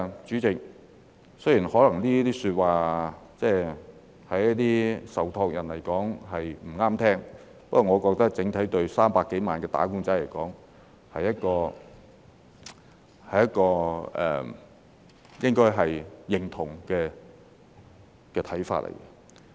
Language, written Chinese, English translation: Cantonese, 主席，雖然這些說話對一些受託人來說可能不中聽，不過我覺得整體對300多萬名"打工仔"來說，他們應該會認同這看法。, President although such remarks may sound unpleasant to some trustees I think on the whole the some 3 million wage earners are likely to agree with this view